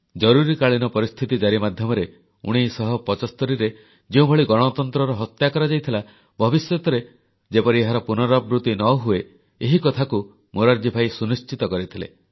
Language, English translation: Odia, In this way, Morarji Bhai ensured that the way democracy was assassinated in 1975 by imposition of emergency, could never be repeated againin the future